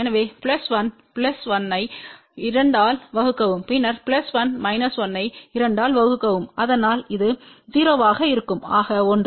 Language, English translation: Tamil, So, plus 1 plus 1 divided by 2 and then plus 1 minus 1 divided by 2 , so that will be 0 this will become 1